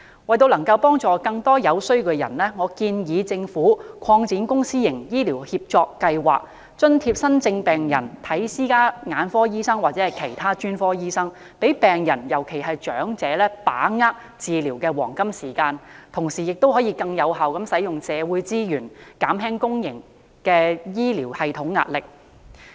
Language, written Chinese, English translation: Cantonese, 為了幫助更多有需要人士，我建議政府擴展公私營醫療協作計劃、津貼新症病人向私家眼科醫生或其他專科醫生求診，讓病人把握治療的黃金時間，同時亦可更有效地運用社會資源，減輕公營醫療系統的壓力。, I think that in order to help more people in need the Government should expand such public - private partnership schemes by offering subsidies to new patients so that they may seek treatment from ophthalmologists and other specialist doctors in private practice . That way patients can grasp the golden period of treatment . And social resources will also be used effectively to ease the pressure of the public healthcare system